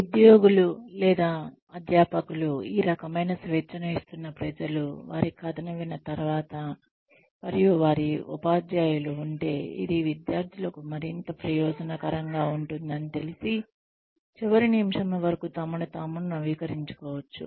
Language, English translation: Telugu, This must have come after the people, who were giving the employees, or the faculty, this kind of freedom, heard their side of the story, and came to know that, it just might be much more beneficial for the students, if their teachers could keep updating themselves, till the last minute